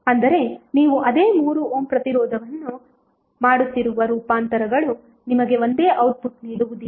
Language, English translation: Kannada, That means that the transformations which you are doing the same 3 ohm resistance will not give you the same output